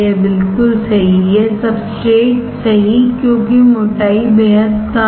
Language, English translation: Hindi, Obviously, right this substrate, correct because the thickness is extremely small